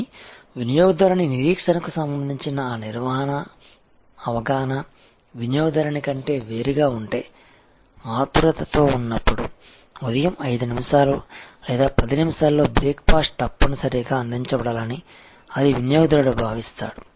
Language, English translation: Telugu, But, if that management perception of customer expectation is different from what the customer, the customer feels that the breakfast must be delivered in 5 minutes or 10 minutes in the morning, when there in hurry and a management feels that 15 minutes is, then there is a gap